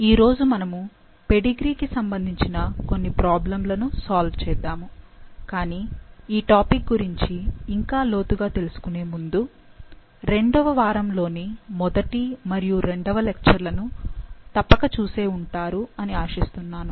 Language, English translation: Telugu, Today we will be solving some problems related to pedigree, but before we delve further in the topic, I hope you must have seen first and second lecture of week II